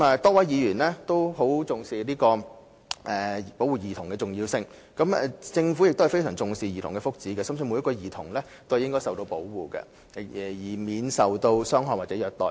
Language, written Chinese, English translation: Cantonese, 多位議員均很重視保護兒童的重要性，而政府亦非常重視兒童的福祉，深信每名兒童均應受到保護，免受傷害或虐待。, Many Members have emphasized the importance of child protection and the Government likewise attaches a great deal of importance to childrens well - being and strongly believes that every child should be protected from harm or abuse